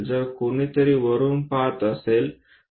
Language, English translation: Marathi, So, if someone looking from top